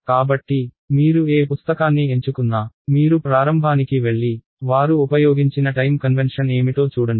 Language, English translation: Telugu, So, you should whatever book you pick up make sure you go right to the beginning and see what is the time convention they have used